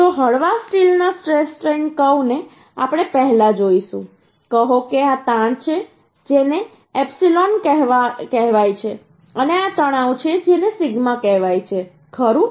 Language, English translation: Gujarati, So stress strain curve of the mild steel we will see first say this is strain which is called epsilon, and this is stress which is called sigma